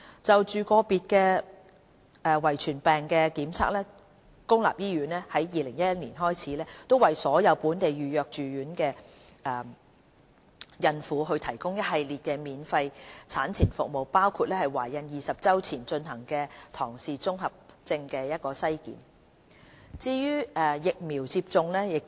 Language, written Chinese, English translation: Cantonese, 就個別遺傳疾病的檢測，公立醫院自2011年開始為所有本地預約住院的孕婦提供一系列免費產前服務，包括在懷孕20周前進行的唐氏綜合症篩檢。, For detection of individual hereditary diseases since 2011 public hospitals have been providing a series of free prenatal services for all local pregnant women with a residential hospital booking including screening for Down syndrome carried out before 20 weeks of pregnancy